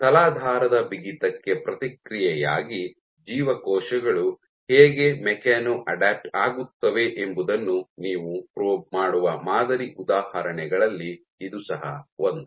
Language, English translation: Kannada, So, this is one of the sample examples in which you can probe how cells machano adapt in response to substrate stiffness